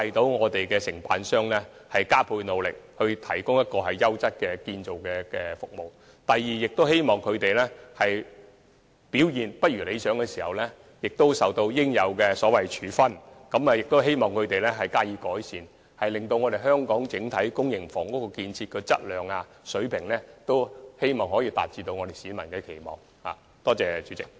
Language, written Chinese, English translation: Cantonese, 第一，鼓勵承辦商加倍努力，提供優質的建築服務；第二，使表現未如理想的承辦商受到應有處分，並希望他們改善表現，令香港整體公營房屋的建造質素可以達到市民的期望。, Firstly encourage greater efforts from contractors to provide quality building services; secondly punish the underperformed contractors as appropriate in the hope that improvements will be made so that the overall building quality of local public housing can meet public expectations